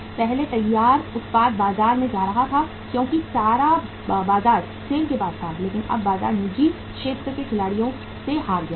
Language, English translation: Hindi, Earlier the finished product was going to the market because entire market was with SAIL but now the market is lost to the private sector players